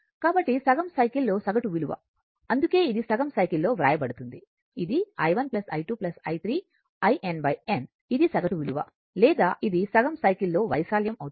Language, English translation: Telugu, So, average value over a half cycle that is why it is written over a half cycle it is i 1 plus i 2 plus i 3 up to this one by n